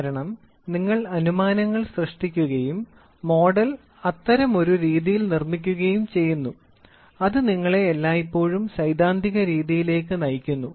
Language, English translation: Malayalam, Because you have made assumptions and the model is made in such a fashion, such that it always leads you to the theoretical one